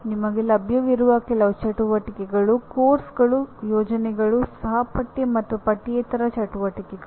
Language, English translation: Kannada, The only activities that are available to us are courses, projects, and sometimes co curricular and extra curricular activities